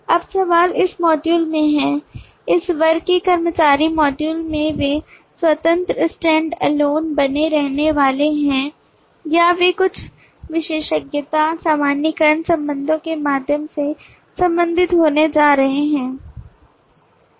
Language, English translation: Hindi, now the question is in that module, in that employees module at this classes are they going to remain independent standalone or are they going to be related through some specialization, generalization relationships